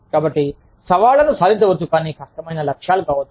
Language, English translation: Telugu, So, challenges are achievable, but difficult goals